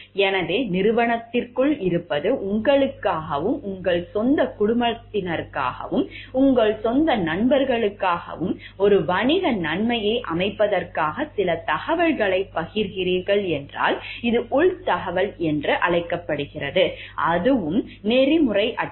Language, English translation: Tamil, So, being inside of the organization if you are sharing certain information to set up a business advantage for yourself, your own family, your own friends then this is called to be insider information and that is also unethical